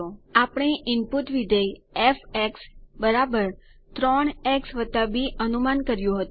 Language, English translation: Gujarati, We predicted an input function f = 3 x + b